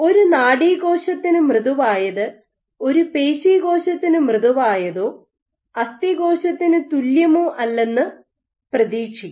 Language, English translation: Malayalam, So, you would anticipate that what is soft for a neuron is not the same as soft for a muscle cell or not the same for an osteoblast